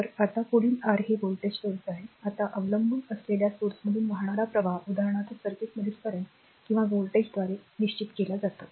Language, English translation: Marathi, So, now the now next is the next is this is your what you call voltage source, now current flowing through a dependent current source is determined by a current or voltage elsewhere in the circuit for example